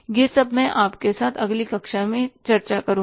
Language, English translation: Hindi, This all I will discuss with you in the next class